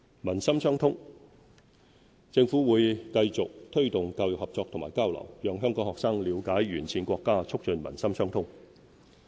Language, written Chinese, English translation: Cantonese, 民心相通政府會繼續推動教育合作和交流，讓香港學生了解沿線國家，促進民心相通。, The Government will continue to promote cooperation and exchanges in education to help Hong Kong students gain a better understanding of the countries along the Belt and Road thereby strengthening people - to - people bonds